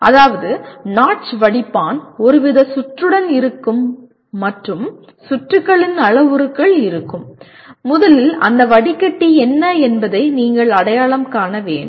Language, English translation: Tamil, That means notch filter will have a some kind of a circuit and the parameters of the circuit will have, first you have to identify what that filter is